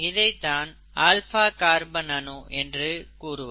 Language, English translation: Tamil, You have the central carbon atom here an alpha carbon atom